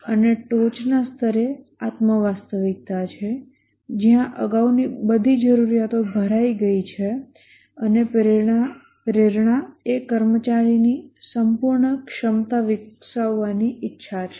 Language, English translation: Gujarati, And at the top level is the self actualization where all the previous needs are filled and the employee, the motivation is the desire to develop one's full potential